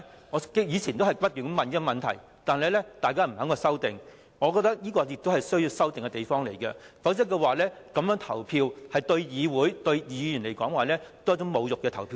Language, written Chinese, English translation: Cantonese, 我以往曾不停追問這個問題，但大家也不肯作出修訂，我覺得這是需要修訂的地方，否則在此安排下投票，對議會、議員而言也是一種侮辱。, I have been pursuing this question but Members are not willing to make any amendment to the arrangement . In my view amendment is warranted for this arrangement otherwise the voting under this arrangement will be an insult to this Council and to Members